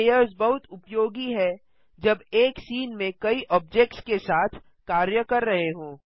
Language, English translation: Hindi, Layers is very useful when working with mutiple objects in one scene